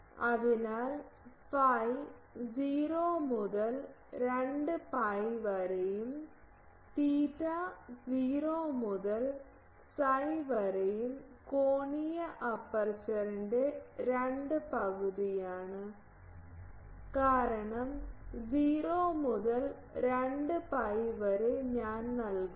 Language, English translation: Malayalam, And so, phi 0 to 2 pi and theta is from 0 to psi by 2 half of the angular aperture because, 0 to 2 pi I am giving